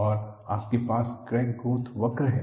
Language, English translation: Hindi, And you have the crack growth curve